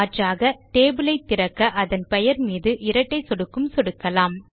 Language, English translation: Tamil, Alternately, we can also double click on the table name to open it